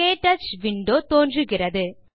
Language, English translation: Tamil, The KTouch window appears